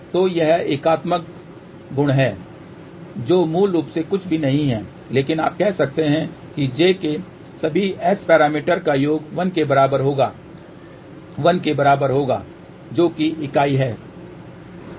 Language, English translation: Hindi, So, that is the unitary property which basically is nothing, but you can say that summation of all the S parameters for given j equal to 1 will be equal to 1 which is unit